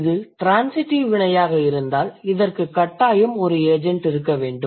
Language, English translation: Tamil, So, if it is a transitive verb, it is assumed that there must be an agent